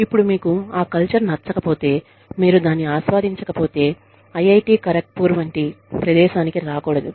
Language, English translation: Telugu, Now, if you do not like that culture, then you should not come to a place like, IIT, Kharagpur, if you do not enjoy that